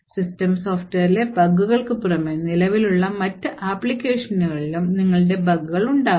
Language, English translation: Malayalam, In addition to the bugs in the system software, you could also have bugs in other applications that are present